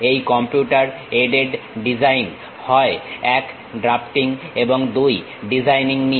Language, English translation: Bengali, This Computer Aided Design, basically involves one drafting and the second one designing